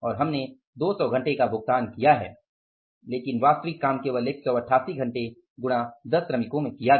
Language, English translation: Hindi, We have paid them for 200 hours but actual work done by them was only for 188 hours